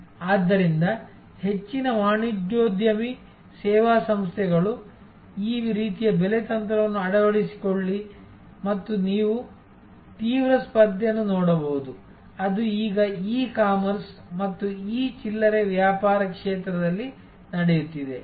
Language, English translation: Kannada, So, most entrepreneur service organizations, adopt this type of pricing strategy and as you can see the intense competition; that is going on now in the field of e commerce and e retailing